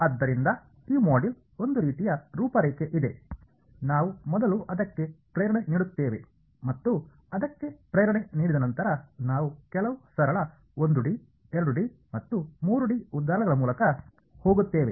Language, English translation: Kannada, So, there is a sort of outline of this module, we will first of all give a motivation for it and after giving you the motivation for it we will run through some simple 1D, 2D and 3D examples ok